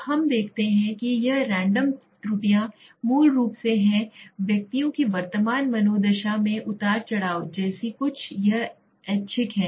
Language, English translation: Hindi, Now let s us look at this Random errors are basically something like fluctuation in persons current mood right it is random